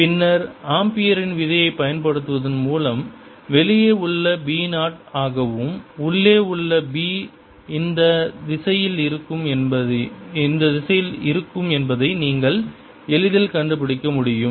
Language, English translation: Tamil, then by applying ampere's law you can easily figure out that b outside will be zero and b inside is going to be